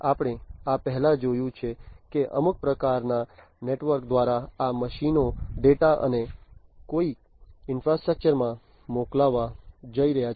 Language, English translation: Gujarati, We have seen this before, through some kind of a network, through some kind of a network, these machines are going to send the data to some other infrastructure